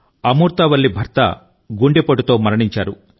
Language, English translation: Telugu, Amurtha Valli's husband had tragically died of a heart attack